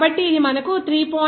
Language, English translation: Telugu, So, it will be a 3